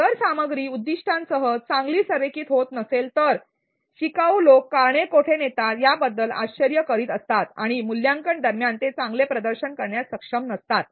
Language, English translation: Marathi, If the content does not align well with the objectives learners keep wandering as to where the causes leading and they are not able to perform well during assessment